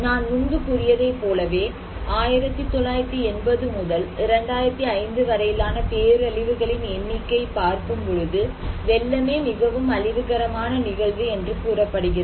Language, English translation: Tamil, Now, looking into the disaster; number of disasters from 1980’s to 2005, you can look as I told also before, it is the flood that is the most reported disastrous event